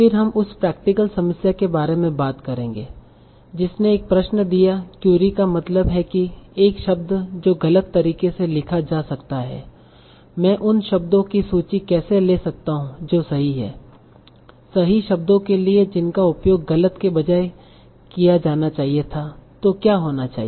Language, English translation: Hindi, Then we will also talk about the practical problem that given a query, so why query I mean a term that might be incorrectly spelled, how do I come up with a list of terms that are actual, that were actual terms that should have been used instead of the incorrect term